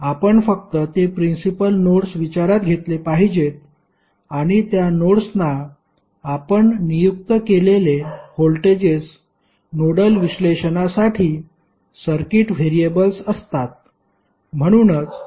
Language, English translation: Marathi, We have to only take those nodes which are principal nodes into consideration and the voltages which we assign to those nodes would be the circuit variables for nodal analysis